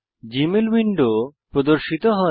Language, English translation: Bengali, The Gmail window appears